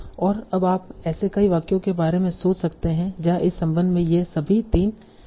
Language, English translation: Hindi, And now you can think of many, many, many such sentences where all these three entities will be there in this relation